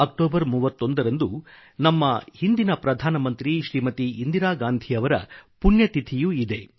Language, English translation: Kannada, The 31st of October also is the death anniversary of our former Prime Minister Indira Gandhi